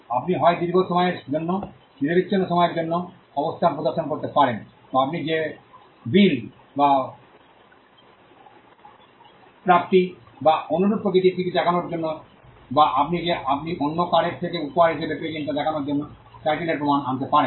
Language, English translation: Bengali, You could either show position for a long period, uninterrupted period of time, or you could bring evidence of title to show that a bill or a received or something of a similar nature to show that or the fact that you received it as a gift from someone else